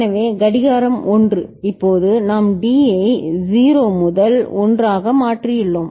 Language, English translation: Tamil, So, clock is 1, now we have changed D from 0 to 1